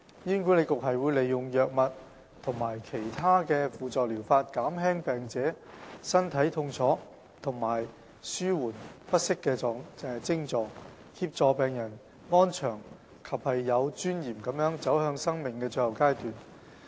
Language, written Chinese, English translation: Cantonese, 醫管局會利用藥物及其他輔助療法，減輕病者身體痛楚和紓緩不適徵狀，協助病人安詳及有尊嚴地走向生命的最後階段。, HA uses drugs and other supportive therapies to reduce the patients physical pain and discomfort so as to help them spend the final stage of life in peace and with dignity